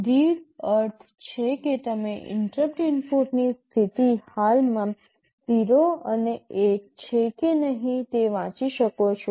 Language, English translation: Gujarati, read means you can read the status of the interrupt input whether it is 0 and 1 currently